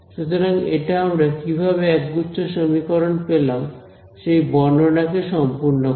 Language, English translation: Bengali, So, this sort of completes the description of how we arrived at a system of equation